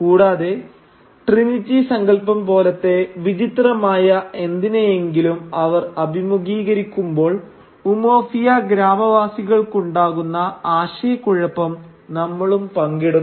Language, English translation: Malayalam, And we share the confoundedness of the villages of Umuofia when they are confronted with something which to them is as bizarre as the concept of Trinity for instance